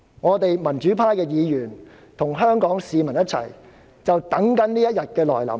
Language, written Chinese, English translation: Cantonese, 我們民主派議員與香港市民正等待這一天來臨。, We as democratic Members and Hong Kong people are waiting for the advent of this day